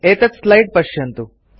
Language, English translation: Sanskrit, Look at this slide